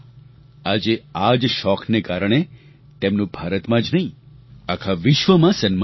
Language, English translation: Gujarati, Today, due to this hobby, he garnered respect not only in India but the entire world